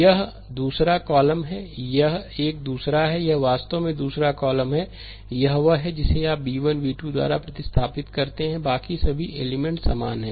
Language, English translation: Hindi, This is the second column, this is a second, this is that your second column, this one you replace by b 1, b 2 rest for a rest for all the a s element remain same